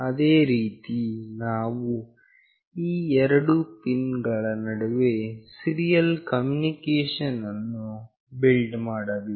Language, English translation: Kannada, Similarly, we have to build a serial connection between these two pins